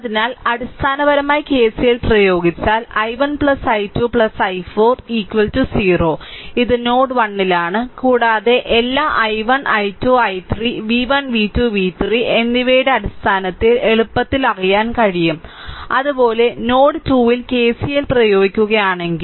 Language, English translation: Malayalam, So, basically if you apply the KCL then i 1 plus i 2 plus i 4 is equal to 0, this is at node 1 and all i 1, i 2, i 3, easily, you can know in terms of v 1, v 2, v 3, you can substitute, similarly, at node 2, if you apply node 2, if you apply KCL